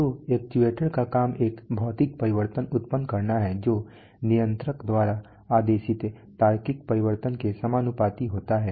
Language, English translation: Hindi, So the job of the actuator is to produce a physical change which is proportional to the logical change which is commanded by the controller